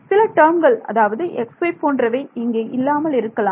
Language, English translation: Tamil, Some terms may not be there like x y term may not be there and so on ok